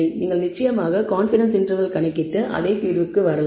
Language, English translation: Tamil, You can of course, compute confidence interval and come to the same judgment